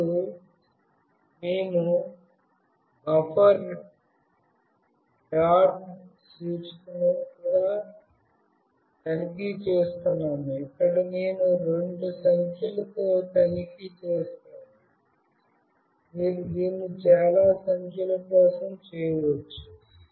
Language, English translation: Telugu, And we are also checking buffer dot index Here I have checked with these two numbers, you can do this for many numbers